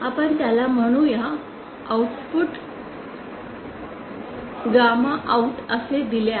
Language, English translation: Marathi, The gamma out given like this